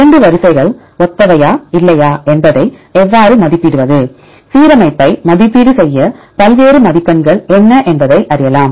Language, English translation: Tamil, Then how to evaluate whether two sequences are similar or not, what are the various scores available to evaluate the alignment